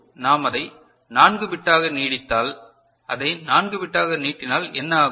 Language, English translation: Tamil, Now, if we extend it to 4 bit, if you extend it to 4 bit what happens